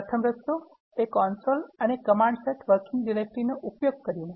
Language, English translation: Gujarati, The first, way is to use the console and using the command Set working directory